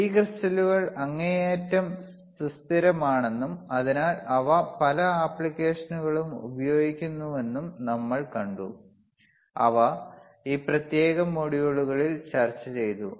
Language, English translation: Malayalam, We also saw that these crystals wereare extremely stable and hence they are used in many applications, which were discussed in this particular module